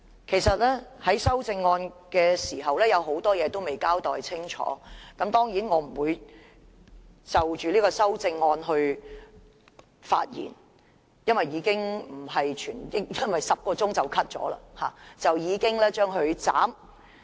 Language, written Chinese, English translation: Cantonese, 其實政府就修正案的很多事情也未有交代清楚，當然，我不會就修正案發言，因為辯論在10小時後便遭腰斬。, In fact the Government has not clearly explained many aspects of the amendments . Of course I will not speak on the amendments as the debate will be cut in 10 hours